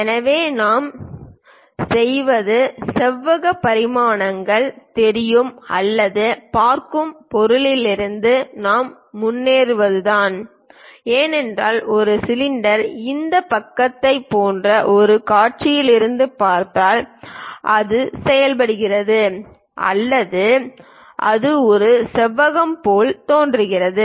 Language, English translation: Tamil, So, what we do is we go ahead from the object where rectangular dimensions are visible or views because a cylinder if we are looking from one of the view like this side, it behaves like or it looks like a rectangle